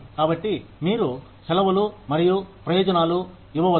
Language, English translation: Telugu, So, you can give them, vacations and benefits